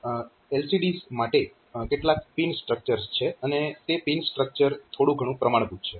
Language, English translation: Gujarati, So, there are some pin structures for the LCDs and those pin structure more or less standard one like